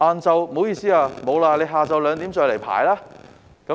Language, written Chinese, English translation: Cantonese, 不好意思，沒有名額了，下午2時再來排隊。, Sorry no places left he had to go back again at two oclock in the afternoon and wait